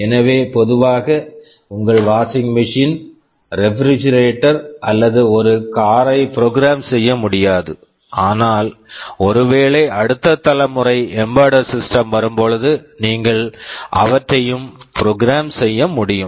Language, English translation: Tamil, So, normally you cannot program your washing machine or refrigerator or a car, but maybe tomorrow with the next generation embedded systems coming, you may be able to program them also